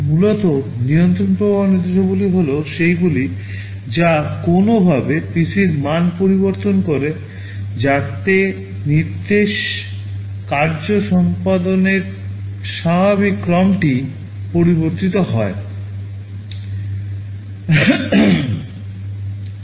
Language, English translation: Bengali, Essentially control flow instructions are those that will be altering the value of PC in some way so that the normal sequence of instruction execution will be altered